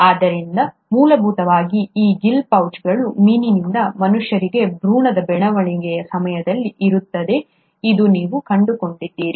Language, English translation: Kannada, So, basically, what you find is that these gill pouches are present during the embryonic development all across from fish to the humans